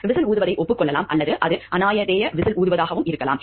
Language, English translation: Tamil, Whistle blowing could be acknowledged or it could be anonymous whistle blowing also